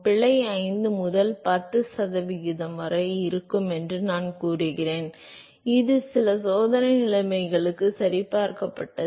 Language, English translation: Tamil, I would say that the error is somewhere between five and ten percent again this is been verified for some experimental conditions